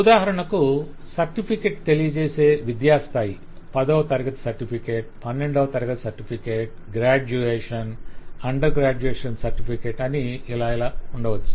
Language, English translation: Telugu, For example, the ordering could be the level of education for which the certificate is provided, the 10th standard certificate, the 12th standard certificate, the graduate, the under graduation certificate and so on